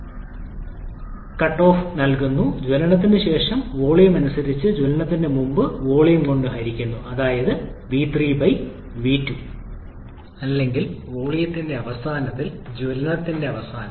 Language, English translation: Malayalam, Cutoff ratio given by rc which is given by volume after combustion that is v3/volume before combustion v3/v2, volume at the end of combustion to volume at the beginning of combustion